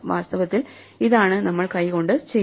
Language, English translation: Malayalam, In fact, this is what we do by hand